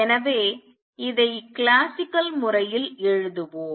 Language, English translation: Tamil, So, let us write this classically